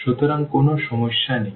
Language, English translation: Bengali, So, no problem